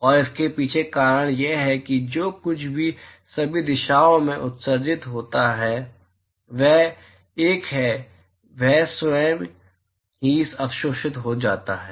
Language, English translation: Hindi, And the reason behind is that, whatever is emitted in all directions, is a, it is absorbed by itself